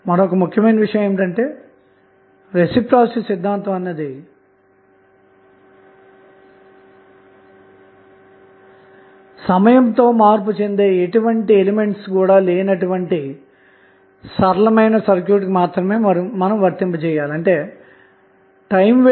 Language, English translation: Telugu, Now, important thing is that the reciprocity theorem can be applied only when the circuit is linear and there is no any time wearing element